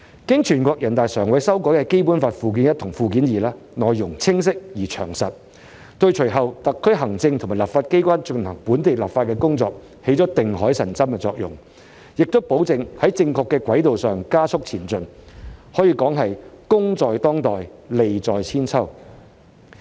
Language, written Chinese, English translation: Cantonese, 經全國人大常委會修改的《基本法》附件一和附件二，內容清晰而詳實，對隨後特區行政及立法機關進行本地立法工作，起到定海神針的作用，亦保證在正確的軌道上加速前進，可以說是功在當代，利在千秋。, Annexes I and II to the Basic Law as amended by NPCSC are clear and detailed in content and will serve as the pillar of the ocean in the local legislative exercise to be carried out by the executive and legislature of the SAR shortly ensuring that the progress is speeding up on the right track . The work we have done now will bring benefits lasting for centuries